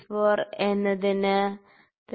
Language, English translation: Malayalam, 64 is equal to 3